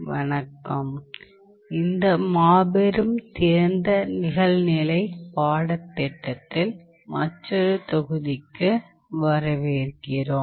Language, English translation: Tamil, Hello, welcome to another module in this massive online open course